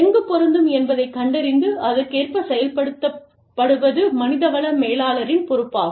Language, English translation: Tamil, And, it is the responsibility of the human resource manager to find out, what is applicable, where, and implemented, accordingly